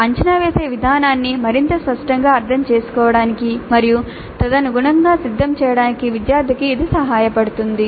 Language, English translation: Telugu, So that would help the student also to understand the process of assessment more clearly and prepare accordingly